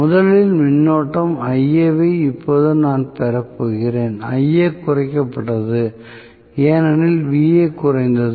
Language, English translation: Tamil, So, originally the current was Ia, now I am going to have, Ia reduced because Va has reduced